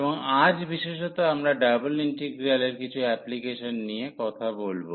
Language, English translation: Bengali, And today in particular we will be talking about some applications of double integral